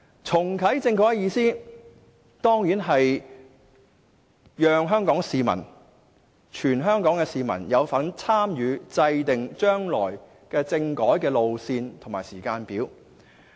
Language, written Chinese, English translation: Cantonese, "重啟政改"的意思，當然是讓全香港市民有份參與制訂將來的政改路線和時間表。, Reactivate constitutional reform means of course that each and every citizen in Hong Kong will be engaged in formulating the road map as well as timetables for future constitutional reform